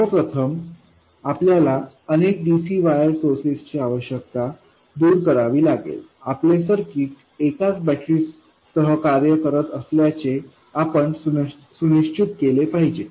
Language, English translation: Marathi, First of all we have to eliminate the need for multiple DC bias sources we have to make sure that our circuit works with a single battery